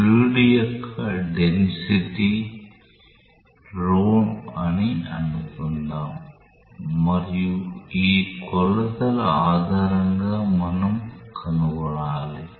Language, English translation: Telugu, Let us assume that the density of the fluid is rho and we have to find out based on these dimensions